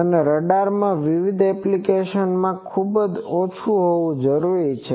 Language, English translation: Gujarati, And in radars, in various applications, we require it to be much lower